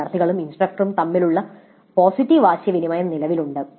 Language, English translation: Malayalam, Positive interaction between the students and instructor existed